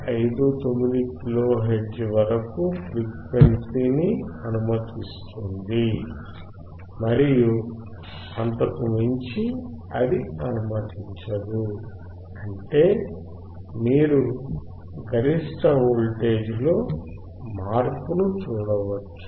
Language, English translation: Telugu, 59 kilo hertz and above that it will not allow; that means, you can see the change in the peak voltage